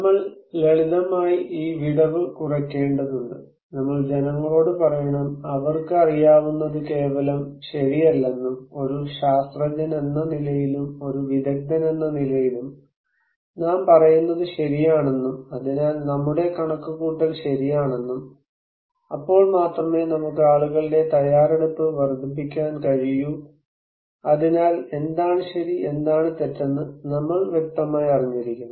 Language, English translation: Malayalam, We need to simply reduce the gap, we need to tell people that what they know is not simply true, what we are telling as a scientist, as an expert is true so, our estimation is the right, only then we can enhance people's preparedness so, actually we should know what is right, what is not wrong